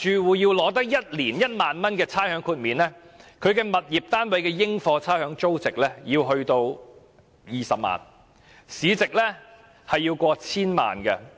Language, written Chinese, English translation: Cantonese, 如要取得1年1萬元的差餉豁免額，物業單位的應課差餉租值要達到20萬元，物業市值要過千萬元。, For a property to have rates exemption of 10,000 a year its rateable value should at least be 200,000 and its market price will be over 10 million